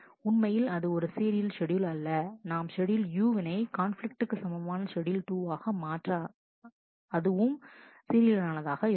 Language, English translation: Tamil, Which is indeed a serial schedule and we have been able to transform schedule U into a conflict equivalent schedule 2 which is serial